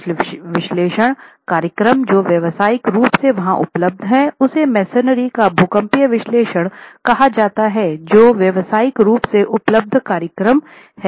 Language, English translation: Hindi, Some of the pushover analysis, some of the analysis programs that are commercially available, there is one called seismic analysis of masonry which is a commercially available program